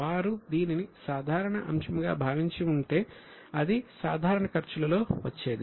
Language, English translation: Telugu, If they would have treated as a normal item, it would have come in the normal expenses